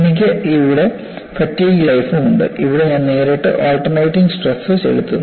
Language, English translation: Malayalam, I have log of fatigue life here; here I directly put the alternating stress